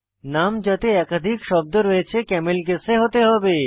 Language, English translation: Bengali, Names that contain more than one word should be camelcased